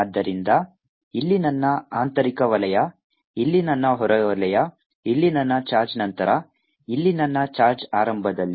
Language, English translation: Kannada, so here is my inner circle, here is my outer circle, here is my charge later, here is my charge initially